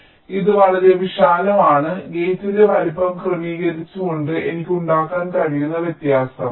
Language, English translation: Malayalam, so it is quite a wide variation that i can make by adjusting the size of the gate